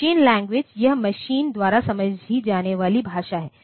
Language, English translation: Hindi, So, machine language; this is the language understood by the machine